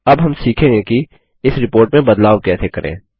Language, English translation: Hindi, We will now learn how to modify this report